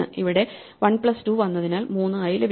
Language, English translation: Malayalam, We got 3 here because we came as 1 plus 2